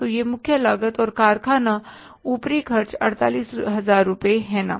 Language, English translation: Hindi, So this is the prime cost and works overheads are the 48,000 rupees, right